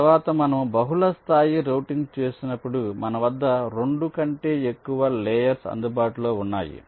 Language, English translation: Telugu, and next, when we look at multilayer, routing means we have more than two layers available with us